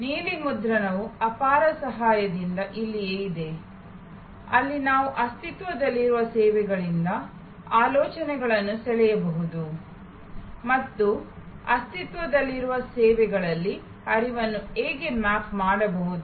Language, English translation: Kannada, This is where the blue print is of immense help, where we can draw ideas from existing services and how the flow can be mapped in existing services